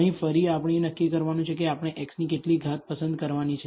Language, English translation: Gujarati, Here again, we have to decide how many powers of x we have to choose